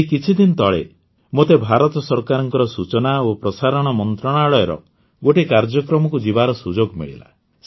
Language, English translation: Odia, Just a few days ago, I got an opportunity to attend a program of Ministry of Information and Broadcasting, Government of India